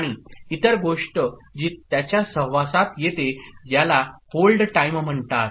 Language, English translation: Marathi, And the other thing which comes in association with it, is called the hold time ok